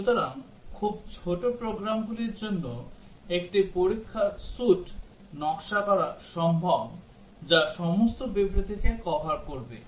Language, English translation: Bengali, So, for very small programs, it is possible to design a test suite, which will cover all the statements